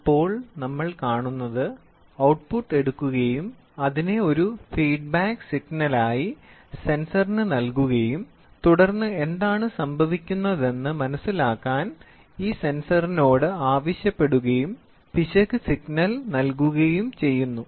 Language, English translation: Malayalam, Now, what we see is we take the output and then we take it as a feedback signal give it to the sensor and then ask this sensor to understand what is going on and that is error signal is given